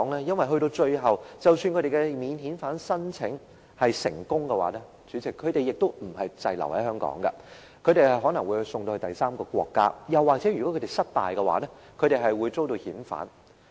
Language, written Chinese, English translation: Cantonese, 因為最後即使他們的免遣返聲請成功，主席，他們也不是滯留香港，而是可能被送到第三個國家，又或是如果他們申請失敗，便會遭遣返。, It is because even if their non - refoulement claims are successful at the end President they will not stay in Hong Kong but may be sent to a third country or if their applications are rejected they will be repatriated